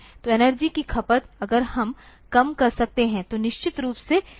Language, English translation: Hindi, So, energy consumption, if we can minimize, then definitely it is helpful